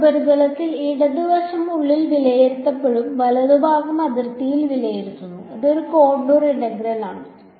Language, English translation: Malayalam, Some surface the left hand side is being evaluated inside and the right hand side is being evaluated on the boundary it is a contour integral